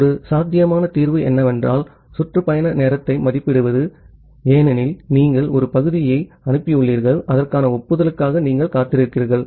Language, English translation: Tamil, So, one possible solution is that to estimate the round trip time because, you have sent a segment and you are waiting for the corresponding acknowledgement